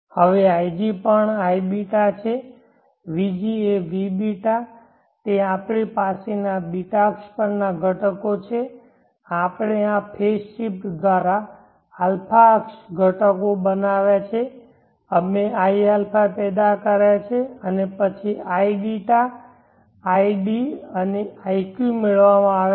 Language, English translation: Gujarati, t which is vß, now ig is also iß vg is vß that is a ß axis components we have, we generated the a axis components by this phase shift, we generated ia and then the id and iq where obtained